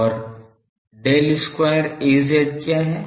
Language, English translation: Hindi, And what is Del square Az